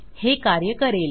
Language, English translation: Marathi, This is going to work